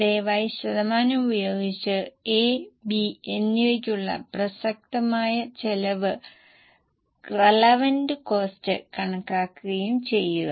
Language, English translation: Malayalam, Please apply the percentage and compute the relevant cost for A and B